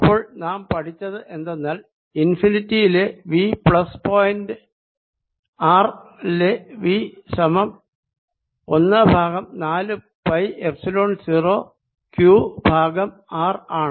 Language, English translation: Malayalam, so what we learn is that v at infinity plus v at point r is equal to one over four pi epsilon zero, q over r